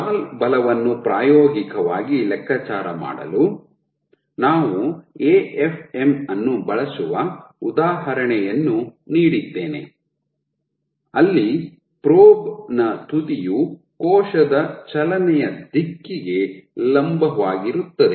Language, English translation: Kannada, So, for calculating stall force experimentally, I had given an example where we use an AFM where the probe the tip was oriented perpendicular to direction of cell movement